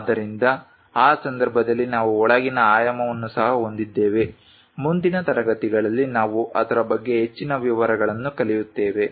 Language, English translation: Kannada, So, in that case we have inside dimension also, more details we will learn about that in the future classes